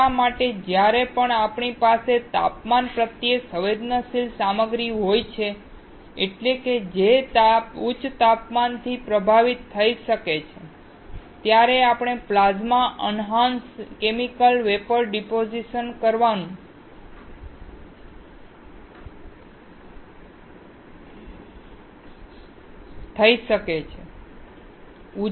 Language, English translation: Gujarati, That is why whenever we have a material which is sensitive to temperature, that is, which can get affected by higher temperature, we can go for Plasma Enhanced Chemical Vapor Deposition